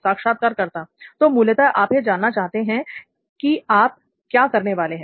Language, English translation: Hindi, So basically you want to know what you are going to do